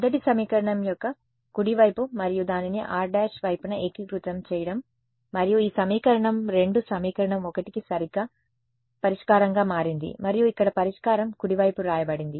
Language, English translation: Telugu, The right hand side of the first equation and integrated it over r prime right and the equation this equation 2 became exactly the solution to equation 1 and that is written over here over here the solution right